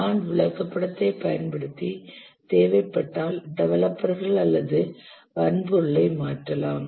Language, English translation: Tamil, If necessary using a Gant chart, we can change the developers or hardware